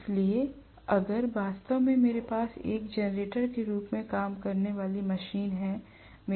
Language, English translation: Hindi, So, if I am having actually the machine working as a generator